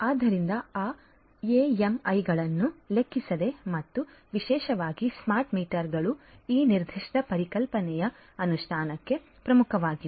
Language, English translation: Kannada, So, irrespective of that AMIs and particularly the smart meters are core to the implementation of this particular concept